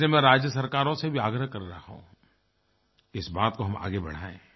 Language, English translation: Hindi, And I will request the state governments to take this forward